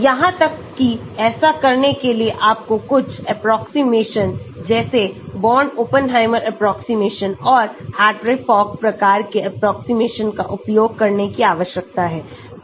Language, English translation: Hindi, Even for doing that you need to use certain approximations like Born Oppenheimer approximations and Hartree Fock type of approximation